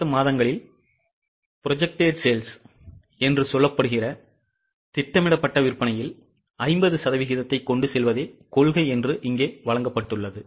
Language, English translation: Tamil, Here it was given that the policy is of carrying 50% of following months projected sales